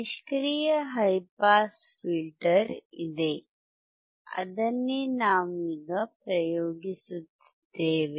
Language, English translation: Kannada, There is a high pass passive filter, that is what we are working on